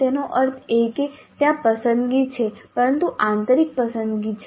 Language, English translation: Gujarati, That means there is a choice but it is internal choice